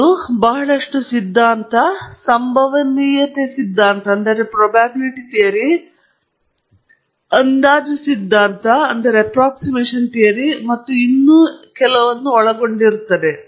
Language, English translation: Kannada, That involves, of course, a lot of theory, probability theory, estimation theory and so on